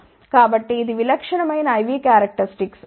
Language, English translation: Telugu, So, this is typical I V characteristic ok